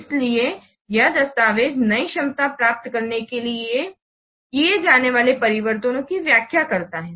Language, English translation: Hindi, So this document explains the changes to be made to obtain the new capability